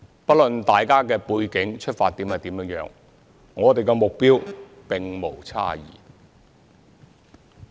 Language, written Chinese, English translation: Cantonese, 不論大家的背景、出發點為何，我們的目標並無差異。, Regardless of our background and intentions our goal is no different